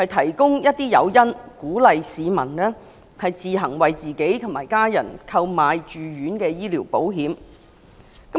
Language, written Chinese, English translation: Cantonese, 當局建議提供誘因，鼓勵市民自行為自己及家人購買住院醫療保險。, The authorities have suggested that incentives be given to encourage the public to take out inpatient medical insurance for themselves and their families